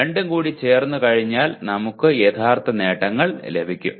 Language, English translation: Malayalam, And once we combine the two then we get the actual attainments